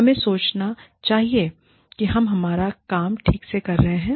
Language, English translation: Hindi, We would like to think, we are doing our work, well